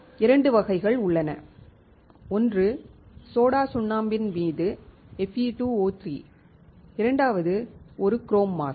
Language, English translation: Tamil, There are two types basically one is Fe2O3 on soda lime, second one is chrome mask